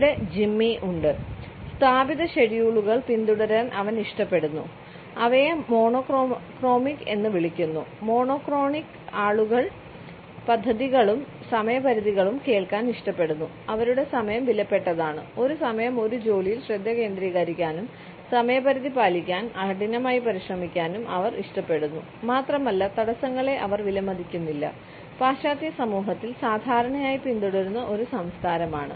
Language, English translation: Malayalam, Here we have Jimmy, he likes to follow established schedules, we call them monochromic; monochronic people like to hear the plans and deadlines their time is valuable they like to focus on one task at a time and work hard to meet deadlines and they do not appreciate interruptions one of the chronic cultures commonly followed in western society